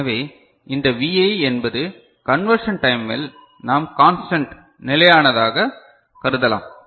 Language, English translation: Tamil, So, this Vi is we can consider as constant during the conversion time